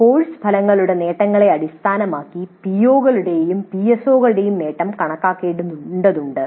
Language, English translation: Malayalam, So attainment of the POs and PSOs have to be attained through courses